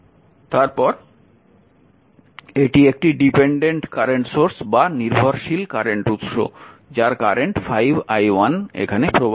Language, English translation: Bengali, 5, this is the current source ah, 5 i 1 dependent current source, it is 5 i 1 and I was flowing here